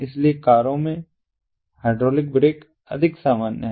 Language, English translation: Hindi, so hydraulic brakes are more common in cars